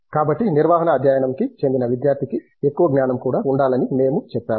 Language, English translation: Telugu, So, we have said that student who is from a management study should have breadth knowledge also